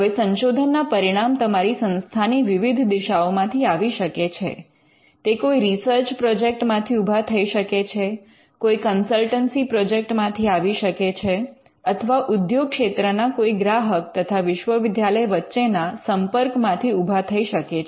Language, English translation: Gujarati, Now, the research results may come from different sources within your institution, it may come from a research project, it may come from a consultancy project, it could come from interaction between an industry client and the university